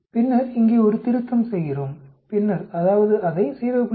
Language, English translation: Tamil, Then we do a correction here, and then that is we subtract it by 0